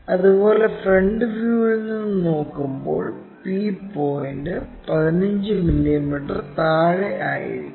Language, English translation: Malayalam, Similarly, p point when we are looking from top view that is in front, so 15 mm below